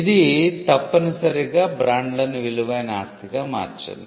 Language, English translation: Telugu, This essentially made the brands a valuable asset in itself